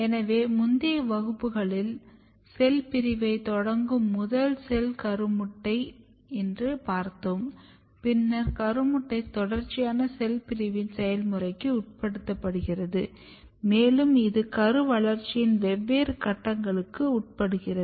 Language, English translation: Tamil, So, if you recall previous class you will find that the first cell which start cell division is zygote, and then zygote undergo the process of a series of cell division and it undergo different stages of embryo development